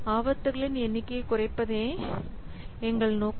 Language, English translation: Tamil, So our objective is to reduce the number of risks